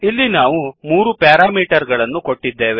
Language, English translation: Kannada, So we have given three parameters